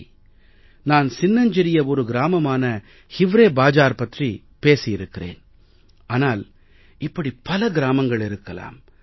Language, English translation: Tamil, I might be talking of a small place like Hivrebazaar, but there must be many other such villages